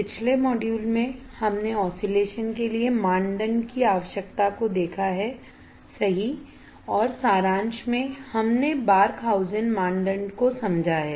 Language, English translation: Hindi, In the last module, we have seen the criteria requirement for oscillations, right and that in summary, we have understood the Barkhausen criteria, right